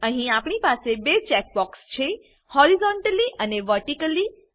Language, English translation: Gujarati, Here we have two check boxes Horizontally and Vertically